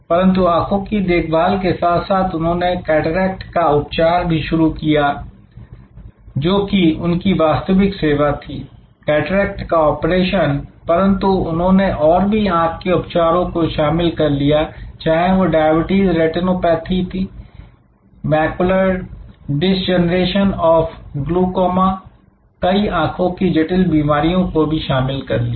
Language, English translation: Hindi, But, with an eye care they have now, they have cataract, which was their original service, cataract operation, but they have added so many different types of other eye treatments, whether for diabetic retinopathy, macular degeneration for glaucoma, for different kinds of other complex eye diseases